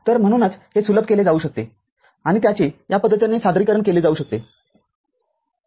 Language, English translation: Marathi, So, that is why it can be simplified or it can be represented in this manner